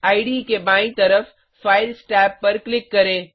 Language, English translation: Hindi, Click on the Files tab on the left hand side of the IDE